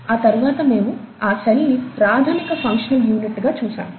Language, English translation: Telugu, And, then we saw that the cell is the fundamental functional unit of life